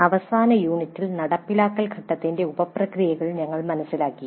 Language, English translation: Malayalam, In the last unit we understood the sub processes of implement phase